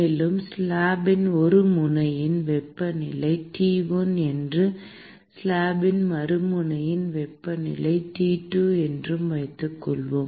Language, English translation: Tamil, And let us also assume that the temperature of one end of the slab is T1 and the temperature of the other end of the slab is T2